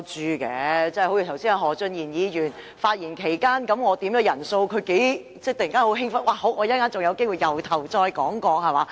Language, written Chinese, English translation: Cantonese, 我剛才在何俊賢議員發言期間要求點算人數，他不知有多興奮，說稍後又有機會從頭說起。, When I requested a headcount while Mr Steven HO was speaking earlier on he was very excited and said he could start all over again later